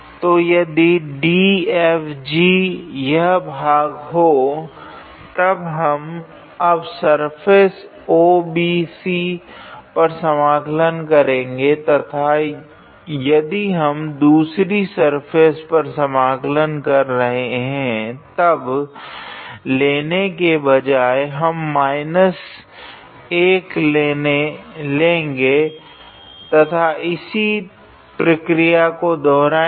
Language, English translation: Hindi, So, if DFG was this face, then we will be now integrate with this on the on the surface a OBC and if we integrate on that other surface, then instead of taking i we will take minus i and proceed in the similar fashion